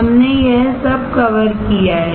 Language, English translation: Hindi, We have covered all of this